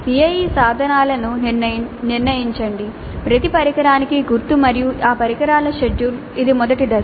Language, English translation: Telugu, Determine the CIE instruments, marks for each instrument and the schedule for these instruments that is first step